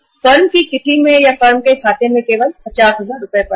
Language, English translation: Hindi, In the firm’s kitty or in the firm’s account there are only 50,000 Rs lying